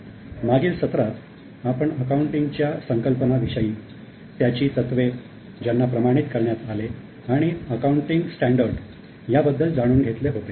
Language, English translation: Marathi, In the last session we have understood various concepts and principles of accounting which have been standardized as accounting standard